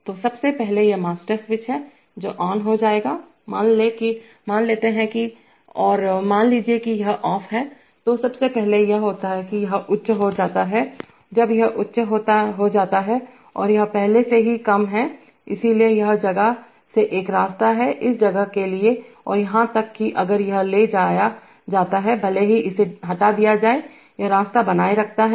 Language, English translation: Hindi, So first of all, this is the master switch which will be come on, let us assume that and suppose this is off, so first of all what happens is that this goes high, when this goes high and this is already low, so therefore there is a path from this place, to this place and even if this is taken off, even if this is taken off, this path maintains